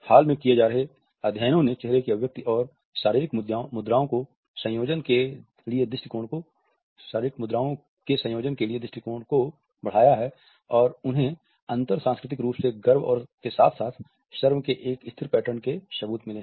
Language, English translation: Hindi, Recent studies which are being conducted now have extended the view to combinations of facial expression and body posture and they have found evidence for cross culturally a stable patterns of pride and shame as well